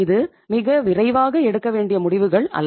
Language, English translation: Tamil, Itís not a decisions to be taken very quickly